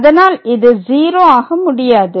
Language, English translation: Tamil, So, and goes to 0